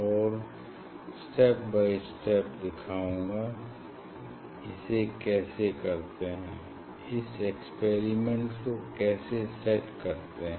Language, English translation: Hindi, And, step by step I will show, how to do this, how to set this experiment, in this hall